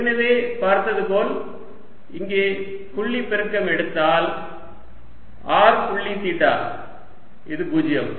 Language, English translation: Tamil, you can already see that if i take the dot product here, r dot theta, this is zero